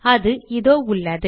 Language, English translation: Tamil, It is here